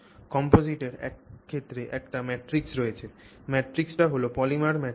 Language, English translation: Bengali, So, composite in this case has a matrix, the matrix is that polymer, polymer matrix